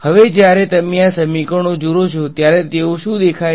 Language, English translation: Gujarati, Now, when you look at these equations, what do they what do they look like